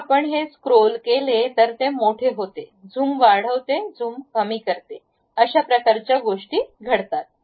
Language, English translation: Marathi, If you scroll it, it magnifies zoom in, zoom out kind of things happens